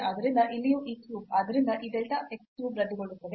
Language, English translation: Kannada, So, here also this cube, so this delta x cube will get cancelled 2 times delta y cube will get cancel